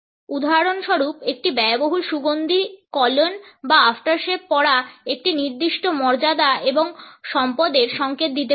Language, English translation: Bengali, For example, wearing an expensive perfume, cologne or aftershave can signal a certain status and wealth